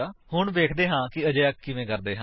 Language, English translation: Punjabi, Now let us see how to do so